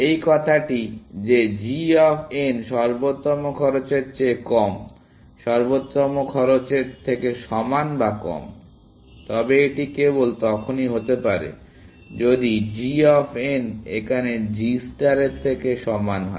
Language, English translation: Bengali, This saying that g of n less than the optimal cost, less than equal to the optimal cost, but that can only be the case, if g of n equal to g star of n